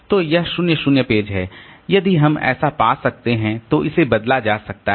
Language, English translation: Hindi, So, that is the 0 0 page if we can find so that is that can be replaced